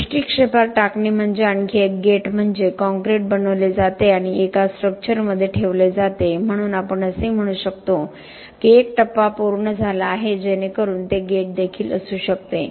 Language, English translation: Marathi, Placing from the sight is another gate that means the concrete is made and put into a structure so we can say that there is a phase that has completed so that could also be a gate